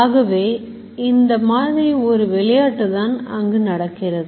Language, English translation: Tamil, So, this is the type of game which happens